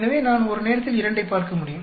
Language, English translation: Tamil, So, I can look two at a time